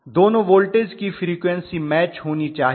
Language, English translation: Hindi, The frequencies of both the voltages should match